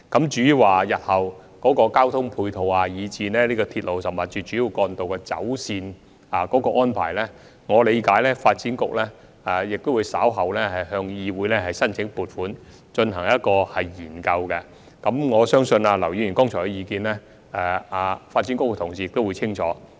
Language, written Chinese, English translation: Cantonese, 至於日後的交通配套，以至鐵路甚或是主要幹道的走線安排，我理解發展局稍後會向議會申請撥款進行研究，並相信劉議員剛才提出的意見，發展局的同事已相當清楚。, As for the provision of ancillary transport facilities in future as well as the planned alignment of railway lines or even major roads in Lantau I understand that the Development Bureau will apply to the Legislative Council later for funding to conduct a study in this respect